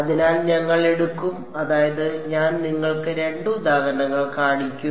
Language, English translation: Malayalam, So, we will take I mean I will show you two examples